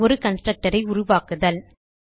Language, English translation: Tamil, And to create a constructor